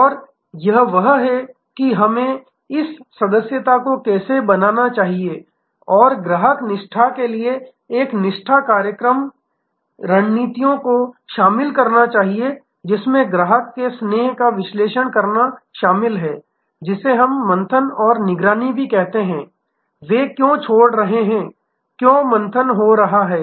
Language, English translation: Hindi, And that is, how we should to create this membership and loyalty a loyalty based program strategies for customer defection will include analyzing customer defection, which we also called churn and monitoring, why they are leaving, why the churn is happening